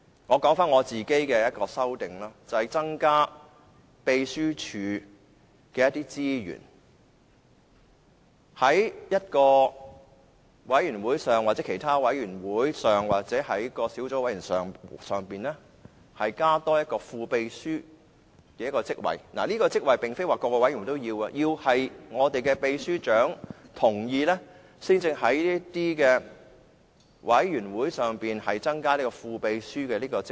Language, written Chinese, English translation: Cantonese, 我其中一項修訂，是增加秘書處的資源，在委員會或小組委員會增設一個副秘書職位，並不是所有委員會也要設立，而是要得到秘書長的同意，才能夠在委員會內增設副秘書一職。, One of my amendments is to increase the resources provided for the Legislative Council Secretariat to create the position of a deputy clerk not in every committee and the position will only be created with the consent of the Secretary General